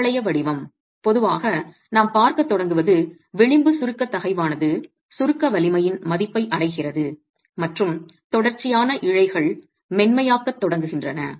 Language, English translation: Tamil, Parabolic shape is typically what we start seeing the edge compressive stress reaches the value of compressive strength and the consecutive fibers start softening